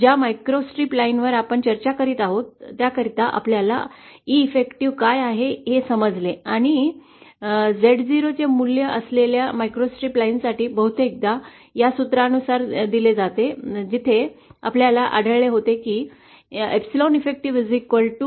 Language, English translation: Marathi, For a microstrip line that we were discussing we have found out what is an E effective and for a microstrip line that is the value of Z 0 is often given by this formula where epsilon effective as we found was equal to epsilon 0 C upon C 0